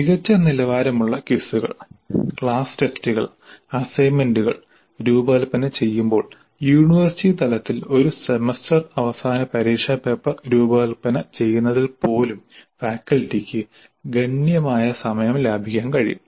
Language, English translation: Malayalam, The faculty can save considerable time while designing good quality quizzes and class tests and even at university level in designing a semester and examination paper even in designing assignments there can be considerable saving in the time